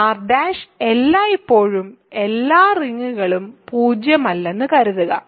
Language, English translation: Malayalam, R prime assume always all over rings are not zero